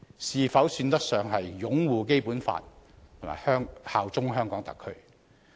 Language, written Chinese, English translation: Cantonese, 是否算得上擁護《基本法》和效忠香港特區？, Can we say that he upholds the Basic Law and bears allegiance to SAR?